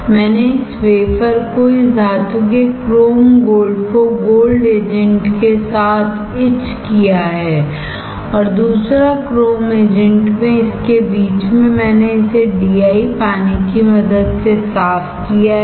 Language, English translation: Hindi, I have etched this wafer this metal chrome gold in gold agent and second in chrome agent in between I have rinse it with the help of DI water; I have rinse it with DI